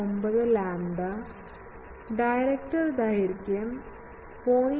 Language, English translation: Malayalam, 49 lambda not, directors length is 0